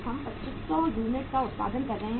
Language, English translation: Hindi, We are producing 2500 units